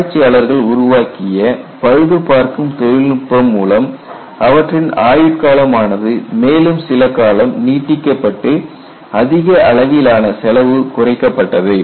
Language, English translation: Tamil, So, people are developing repair technology so that they could extend the life for some more time saving enormous amount of cost